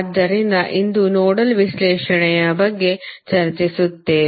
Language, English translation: Kannada, So, today we will discuss about the Nodal Analysis